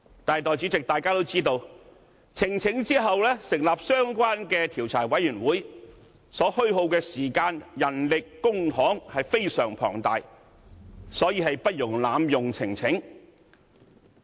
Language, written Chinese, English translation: Cantonese, 但是，眾所周知，提交呈請書之後成立相關專責委員會所虛耗的時間、人力、公帑非常龐大，因此不容濫用呈請書。, However as we all know considerable time manpower and public financial resources will be required to set up a select committee after a petition has been presented and we should therefore guard against possible abusive use of the arrangements for the presentation of petitions